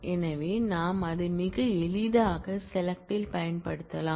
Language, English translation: Tamil, So, we can very easily use that in the select